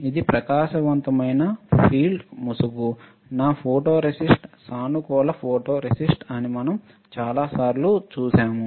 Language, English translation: Telugu, It is a bright field mask, my photoresist is positive photoresist, we have seen that many times